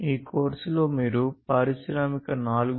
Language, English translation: Telugu, So, in this course, you are going to learn about Industry 4